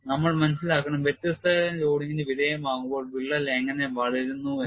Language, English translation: Malayalam, And we have to understand how crack grows when it is subjected to different types of loading